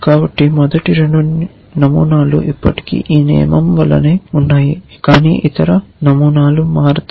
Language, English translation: Telugu, So, the first 2 patterns are still the same as this rule, but the other patterns will change